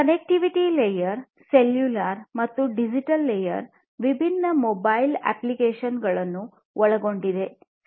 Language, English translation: Kannada, The connectivity layer is cellular and the digital layer consists of different mobile applications